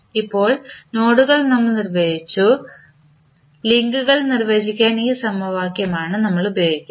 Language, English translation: Malayalam, Now, we have defined the nodes next we use this equation to define the links